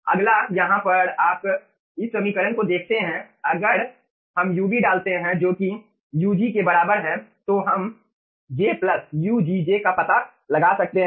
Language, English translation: Hindi, you see, in this equation, if we put ub, which is equivalent to your ug, so here we will be finding out j plus ugj right now, ugj, ah